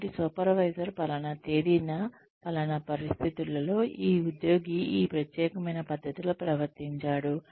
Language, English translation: Telugu, So, the supervisor will say, on so and so date, in so and so situation, this employee behaved, in this particular manner